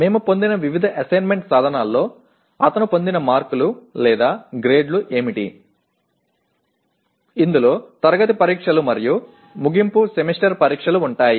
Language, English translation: Telugu, Like what are the marks that he obtained or grades that he obtained in various assessment instruments which we set; which will include the class tests and end semester exams